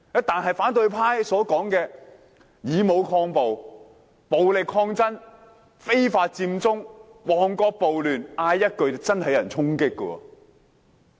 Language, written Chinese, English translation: Cantonese, 但是，反對派所說的以武抗暴，暴力抗爭，非法佔中，旺角暴亂，只要喊一句便真的有人會衝擊。, Nonetheless as for what the opposition camp has said such as using force to stop violence violent resistance unlawful Occupy Central the Mong Kok riot only one shout could indeed cause a storming